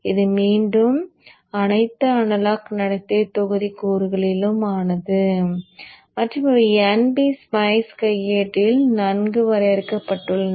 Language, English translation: Tamil, This is again composed of all analog behavioral modeling elements and these are well defined in NG Spice manual